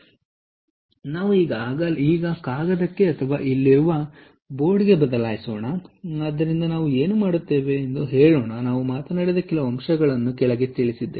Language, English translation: Kannada, all right, so let us now shift to the, to the paper or to the board here, and what we will therefore say is: let us just jot down a few points that we talked about